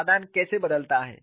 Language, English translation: Hindi, How does the solution change